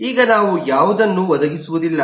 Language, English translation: Kannada, now we do not provide any